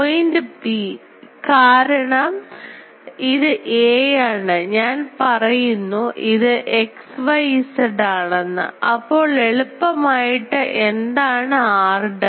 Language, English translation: Malayalam, Because this point P; so it is a; if I say it is at x y Z; then easily what is r dash